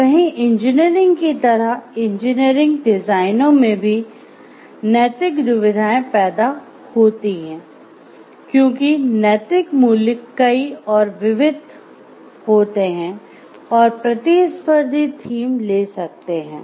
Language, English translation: Hindi, So, like elsewhere engineering, in engineering designs also ethical dilemmas arise because, moral values are many and varied and may take competing themes